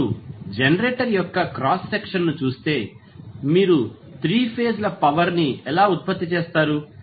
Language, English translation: Telugu, So, if you see the cross section of the generator, how you generate the 3 phase power